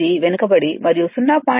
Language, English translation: Telugu, 8 lagging and 0